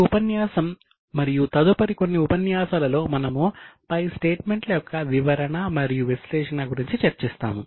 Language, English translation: Telugu, In this and the next few sessions we will discuss about interpretation and analysis of the statements